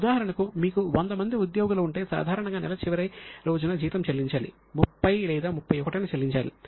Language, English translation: Telugu, So, for example, if you have got 100 employees, normally the salary should be paid on the last day of the month, say on 30th or 31st